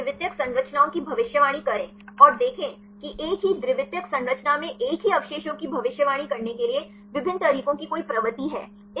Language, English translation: Hindi, And predict the secondary structures and see are there any tendency of different methods to predict the same residue in same secondary structure